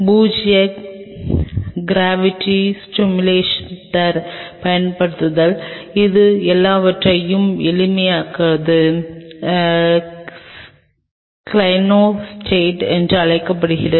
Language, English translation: Tamil, Using zero gravity simulator, which the simplest of all is called a Clinostat